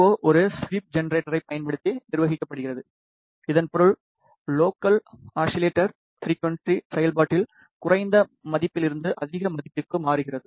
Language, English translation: Tamil, The VCO is govern using a sweep generator, which mean that the local oscillator frequency sweeps from a lower value to a higher value in the operation